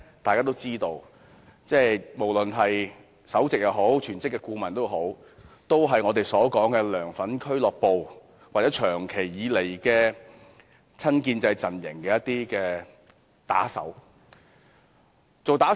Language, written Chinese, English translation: Cantonese, 大家都知道，無論是首席顧問或是屬於全職的顧問，都是"梁粉俱樂部"的人或一直是親建制陣營的打手。, We all know that the Head of CPU and all the full - time CPU Members are from the social club of LEUNGs fans or are hired guns of the pro - establishment camp